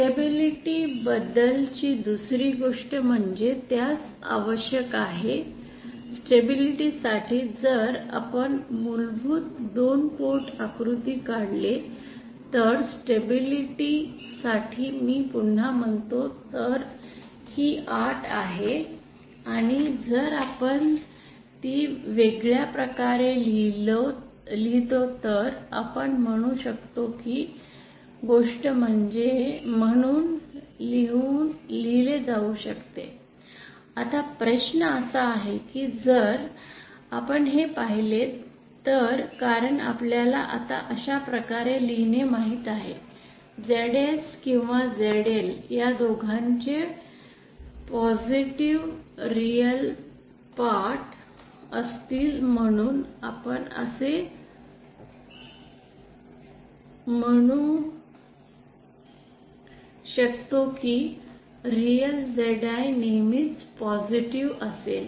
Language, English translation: Marathi, The other thing about stability is that it requires… If I if say again if we draw our basic 2 port diagram, now stability for stability as we have already seen this is the condition and if we write it in a different way then we can this thing can be written as… Now the question is that if you see that since no writing in this way now ZS or ZL both will be will have positive real parts so we can say that real of ZI will always be positive